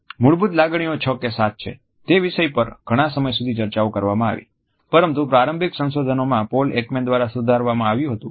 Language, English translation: Gujarati, The confusion whether the universal basic emotions are six or seven continued for some time, but we find that this initial research was revised by Paul Ekman himself